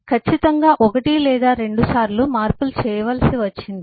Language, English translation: Telugu, of course, once or twice we needed to make changes